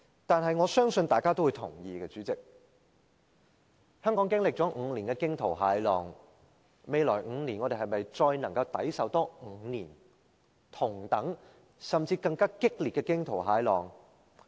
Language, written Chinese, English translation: Cantonese, 但是，我相信大家都會同意，主席，香港經歷了5年的驚濤駭浪，我們能否再抵受未來5年同等甚至更激烈的驚濤駭浪？, That said President I believe all of us agree that after going through fearful storms over the past five years can hardly go through the same or even worse storms in the coming five years